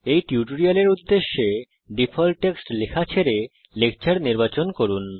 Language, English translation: Bengali, For the purposes of this tutorial, we shall skip typing the default text and select a lecture